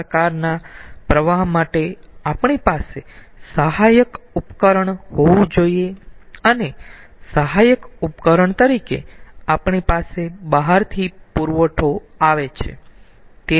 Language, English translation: Gujarati, we had to have some assisting device for this kind of flow and as assisting device we are having the what supply from outside